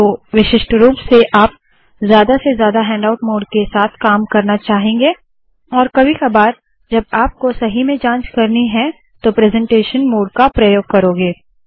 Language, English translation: Hindi, So typically you would want to work with the handout mode as much as possible and only once in a while when you really want to check it out you want to use the presentation mode